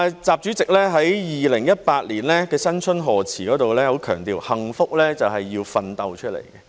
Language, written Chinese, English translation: Cantonese, 習主席在2018年的新春賀辭中很強調幸福是要奮鬥出來的。, During his Spring Festival speech in 2018 President XI strongly emphasized that hard work is the path to happiness